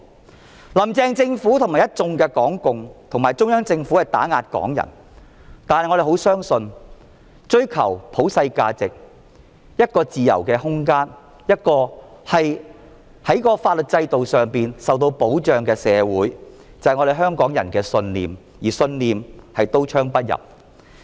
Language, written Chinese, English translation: Cantonese, 雖然"林鄭"政府與一眾港共及中央政府打壓港人，但我們相信追求普世價值、一個自由的空間、一個在法律制度上受到保障的社會是香港人的信念，而信念是刀槍不入的。, Although the Carrie LAM Government the Hong Kong Communist Party and the Central Government are oppressing Hong Kong people we still believe in the pursuit of universal values a free environment and a society protected by a legal system is the belief of Hong Kong people and such a belief is bulletproof